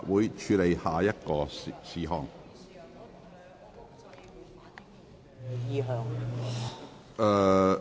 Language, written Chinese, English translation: Cantonese, 本會現處理下一事項。, This Council will now deal with the next item